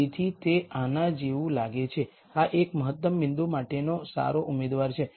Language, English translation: Gujarati, So, it looks like this, this is a good candidate for an optimum point